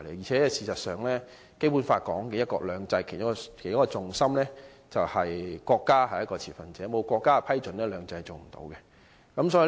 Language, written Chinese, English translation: Cantonese, 事實上，《基本法》訂明的"一國兩制"的其中一個重心，便是國家是一個持份者，沒有國家的批准，"兩制"是無法落實的。, In fact a crucial point in one country two systems prescribed in the Basic Law is that the country is a shareholder . Without the approval of the country two systems cannot be implemented . This time the implementation of the co - location arrangement has adopted the Three - step Process